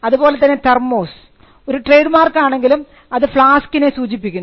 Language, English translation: Malayalam, Thermos though it is a trademark is commonly used to understand flasks